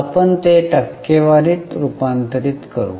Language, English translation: Marathi, Shall we convert it into percent